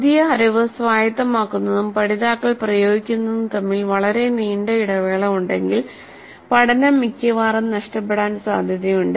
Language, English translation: Malayalam, If there is a long gap between the acquisition of the new knowledge and the application of that by the learners the learning is most likely to suffer